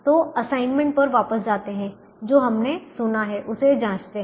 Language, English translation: Hindi, so let's go back to the assignment and check what we did hear